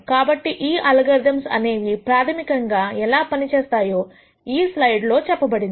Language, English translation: Telugu, So, the basic idea of how these algorithms work is explained in this slide